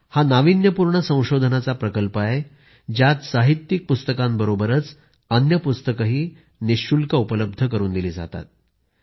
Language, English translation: Marathi, This in an innovative project which provides literary books along with other books, free of cost